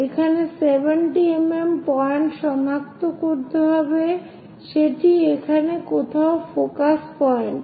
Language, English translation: Bengali, So, locate 70 mm point here so this is the focus point